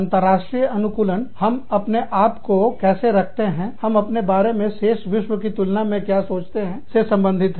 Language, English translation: Hindi, International orientation refers to, how we situate ourselves, what we think of ourselves, in relation to the, rest of the world